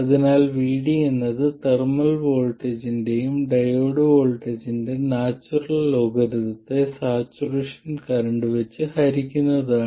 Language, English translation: Malayalam, So, VD will be the thermal voltage times the natural logarithm of the diode current by the saturation current